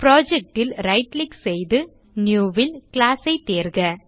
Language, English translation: Tamil, Right click on the Project , New select Class